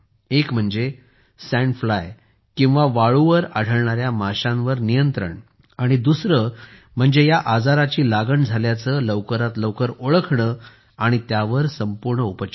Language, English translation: Marathi, One is control of sand fly, and second, diagnosis and complete treatment of this disease as soon as possible